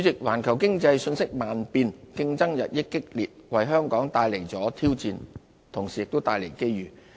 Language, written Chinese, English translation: Cantonese, 環球經濟瞬息萬變，競爭日益激烈，為香港帶來挑戰同時亦帶來機遇。, A fast - changing global economy coupled with an increasingly fierce competition has presented Hong Kong with both challenges and opportunities